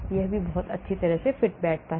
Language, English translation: Hindi, it also fits very well